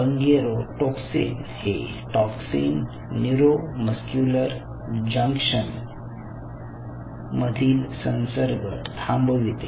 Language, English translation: Marathi, so bungarotoxin is a toxin which will block the transmission in the neuromuscular junction